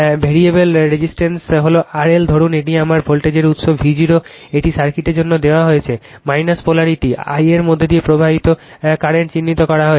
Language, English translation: Bengali, The variable resistance is R L suppose this is my voltage source V 0 is given for a circuit, plus minus polarity is marked current flowing through this I